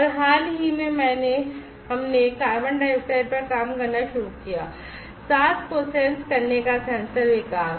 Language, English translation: Hindi, And recently we where started working on; carbon dioxide for breathe sensing development, breathe sensor development